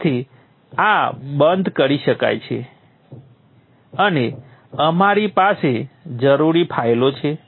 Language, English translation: Gujarati, So this can be closed and we have the required files